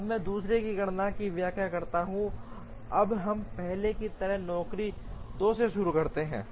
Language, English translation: Hindi, Now, let me explain the computation of the other one, now we start with job 2 as first